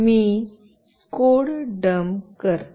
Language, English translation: Marathi, Let me dump the code